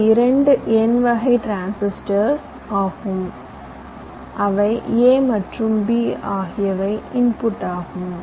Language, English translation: Tamil, these are two n type transistor that say a and b at the inputs